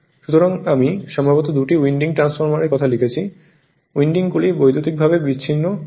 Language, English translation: Bengali, So, something I have written perhaps right for two winding transformers, the windings are electrically isolated that you have seen right